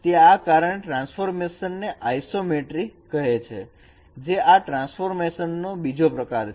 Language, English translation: Gujarati, So that is why this transformation is called isometry